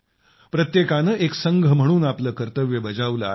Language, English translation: Marathi, Everyone has done their duty as part of a team